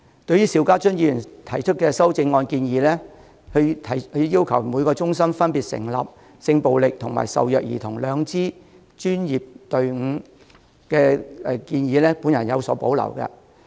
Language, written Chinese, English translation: Cantonese, 對於邵家臻議員提出的修正案建議，即要求每個中心分別成立針對性暴力和受虐兒童的兩支專業隊伍的建議，我有所保留。, As for Mr SHIU Ka - chuns amendment he proposed that two professional teams should be formed in each crisis support centre with one team dedicated to handling sexual violence cases and the other for child abuse cases . I have some reservations about it